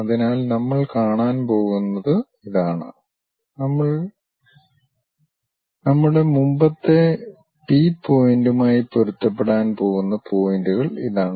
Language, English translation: Malayalam, So, these are the points what we are going to see, the points which are going to match with our earlier P point is this